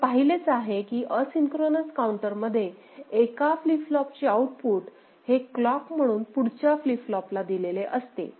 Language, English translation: Marathi, So, in asynchronous counter, we have seen that output of one flip flop is fed as clock to the next flip flop